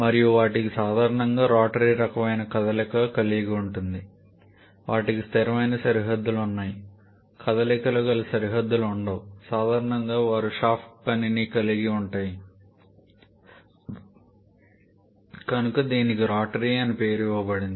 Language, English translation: Telugu, And they generally have a rotary kind of motion they have fixed boundaries no moving boundary work involved commonly they have shaft work which gives the name this rotary kind of thing